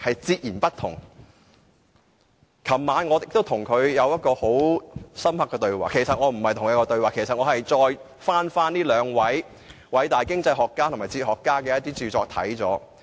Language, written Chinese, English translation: Cantonese, 昨晚，我跟他有過一次深刻的對話，其實不是對話，我只是翻閱這兩位偉大經濟學家和哲學家的著作。, Last night I had a memorable dialogue with him . Actually it was not a dialogue as such . I merely revisited the famous writings of these two great economists and philosophers